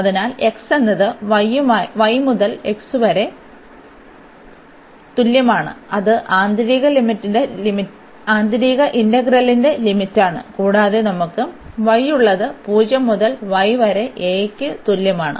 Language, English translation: Malayalam, So, x is equal to y to x is equal to a that is the limit of the inner integral and for the outer one we have y is equal to 0 to y is equal to a